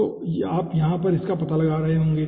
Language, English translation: Hindi, so you will be finding out that it will be